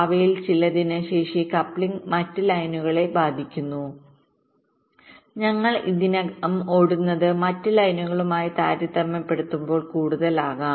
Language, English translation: Malayalam, the capacity coupling affect with others lines we already running there can be more as compare to the other lines